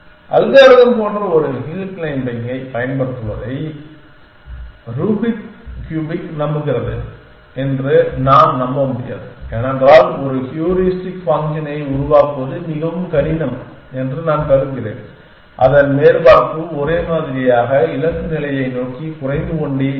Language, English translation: Tamil, I cannot even hope to solve rubric cubic hopes an using a hill climbing like algorithm because I will find it extremely difficult to device a heuristic function whose surface would be monotonically decreasing towards the goal state essentially